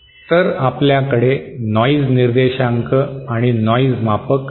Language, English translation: Marathi, So we have noise figure and then noise measure